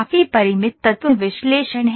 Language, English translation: Hindi, FEA is Finite Element Analysis